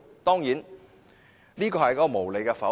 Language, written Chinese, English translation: Cantonese, 當然，這是無理的否決。, Admittedly they were vetoed unreasonably